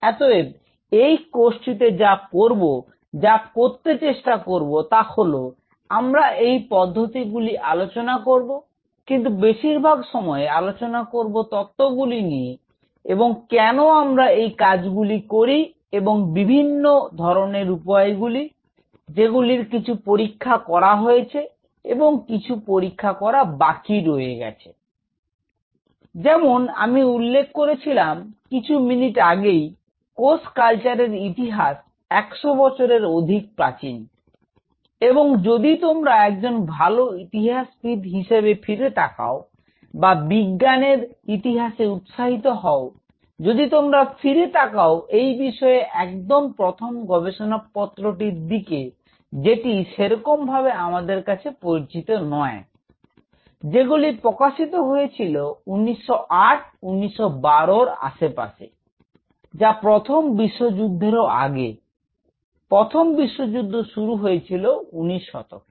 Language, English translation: Bengali, So, in this course, what we will do; try to do of course, we will talk about the techniques, but mostly we will be talking about the philosophy and what drives us and what are the possible options some explored some unexplored, as I mentioned, just a couple of minutes back; the history of cell culture is now more than 100 years old and if you look back like if you are an good historian or if you are interested in scientific history, if you look back the very first paper which at least known to us which were published in this field were around 1908; 1912; it is that back even much earlier than the first world war; first world war started in nineteen fourteen right